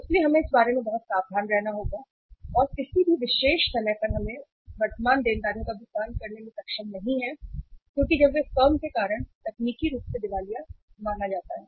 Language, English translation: Hindi, So we have to remain uh say very careful about that and at any particular point of time we are not able to make the payment of the current liabilities as and when they become due the firm is considered as technically insolvent